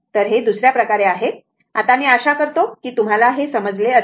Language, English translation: Marathi, So, another way, now this is I hope you have understood this